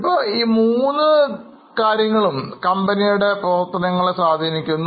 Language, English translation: Malayalam, Now, all these three factors impact the performance of the company